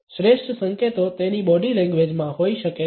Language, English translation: Gujarati, The best cues may lie in his body language